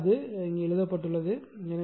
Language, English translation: Tamil, So, that is what is written in right